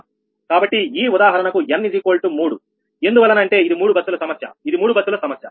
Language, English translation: Telugu, so for this example, n is equal to three, because three bus problem, this is three bus problem